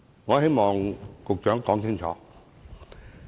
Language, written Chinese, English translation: Cantonese, 我希望局長可以澄清。, I hope that the Secretary can make such clarifications